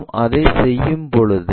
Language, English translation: Tamil, When we are doing that